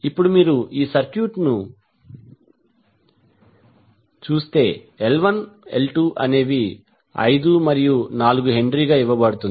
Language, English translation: Telugu, Now if you see this particular circuit the L 1 L 2 are given as H 4 and H 4, 5 and 4 Henry